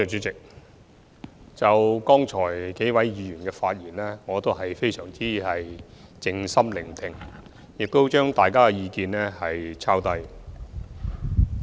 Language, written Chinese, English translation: Cantonese, 就剛才數位議員的發言，我非常靜心聆聽，亦寫下大家的意見。, I have listened very carefully to the speeches of several Honourable Members and written down their views